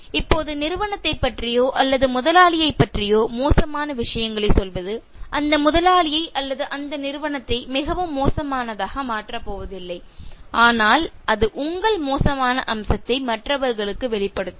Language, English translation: Tamil, Now saying bad things about the company, about the boss is not going to make that boss or that company really bad but it will reveal a bad aspect of you to others